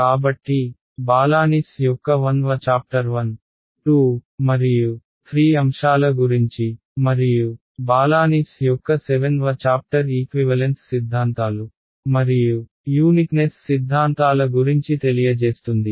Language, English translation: Telugu, So, chapter 1 of Balanis will talk about topics 1, 2 and 3 and chapter 7 of Balanis will tell you about equivalence theorems and uniqueness theorems